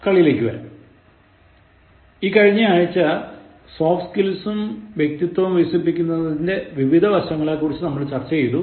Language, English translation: Malayalam, Look it at as a game, and in the last week, we discussed about various aspects of Developing your Soft Skills and Personality